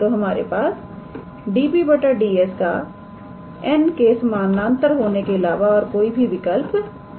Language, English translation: Hindi, So, the only possibility this db ds has is to become parallel with n